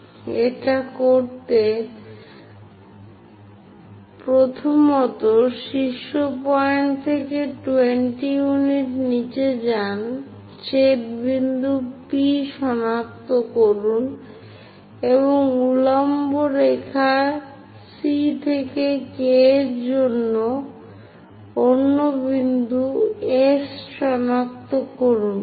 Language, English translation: Bengali, To do that; first of all, from vertex go below by 20 units, locate the intersection point P and on the vertical line C to K, locate another point S